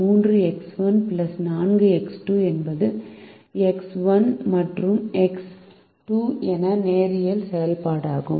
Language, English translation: Tamil, three x one plus four x two is also a linear function of x one and x two